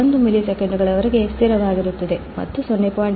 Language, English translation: Kannada, 1 milliseconds, and from 0